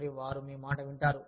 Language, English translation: Telugu, And, you will be heard